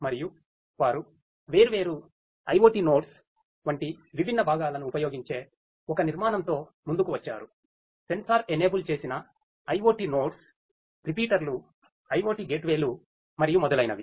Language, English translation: Telugu, And they have come up with an architecture which uses different components such as the different IoT nodes the sensor enabled IoT nodes the repeaters IoT gateways and so on